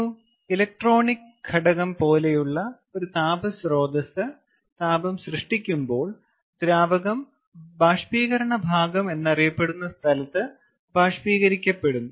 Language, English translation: Malayalam, when a heat source, such as an electronic component, generates heat, the fluid vaporizes at what is known as the evaporator section